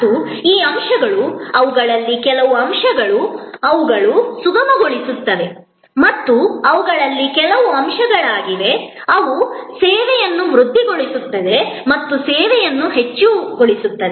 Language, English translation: Kannada, And these elements, some of them are elements, which are facilitating and some of them are elements, which are augmenting the service or enhancing the service